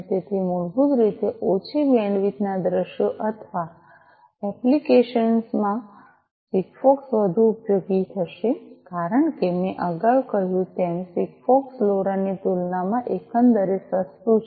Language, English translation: Gujarati, So, basically in low bandwidth scenarios or applications SIGFOX will be more useful, because as I said earlier SIGFOX is overall cheaper compared to LoRa